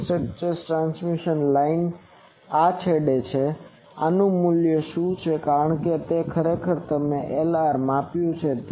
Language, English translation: Gujarati, The feeding structures transmission line these are from the end, what is the value of this because actually we have measured Lr